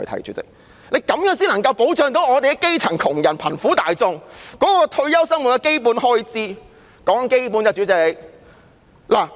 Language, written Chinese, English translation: Cantonese, 主席，這樣才能夠保障基層窮人和貧苦大眾退休後的基本生活開支。, President only in this way can the basic livelihood of the poor grass roots be safeguarded upon their retirement